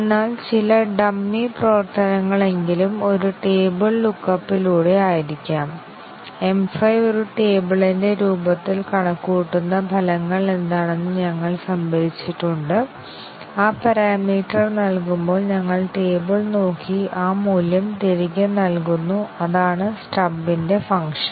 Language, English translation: Malayalam, But at least some dummy functionality may be through a table look up we have stored what are the results that M 5 computes the form of a table, and when that parameter is given we just look up the table and return that value that is the work of the stub here